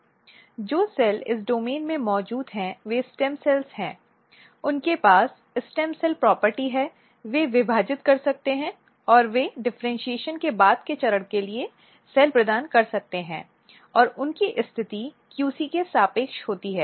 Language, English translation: Hindi, So, this is the region which is stem cell niche which means that the cells which are present in this domain, they are stem cells, they have stem cell property, they can divide and they can provide cells for later stage of differentiation and their position is relative with the QC